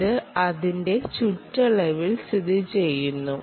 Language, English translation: Malayalam, it is located on its perimeter